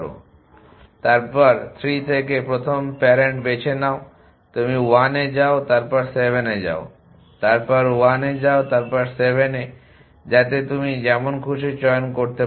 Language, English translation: Bengali, And then from 3 choose from the first parent you 1 go to 1 so you go to 7 you 1 go to 7 so you choose something random